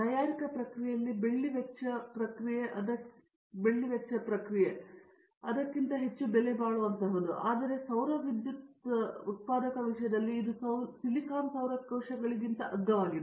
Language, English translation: Kannada, In the manufacturing process, cost process silver may be costlier than that, but in the solar cell manufacturing thing it can be cheaper than the silicon solar cells